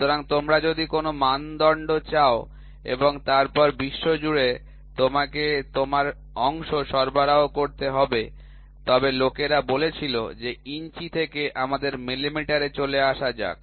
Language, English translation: Bengali, So, if you want to have a standard and then across the world you have to start supplying your parts then people said that from inches let us move to millimetre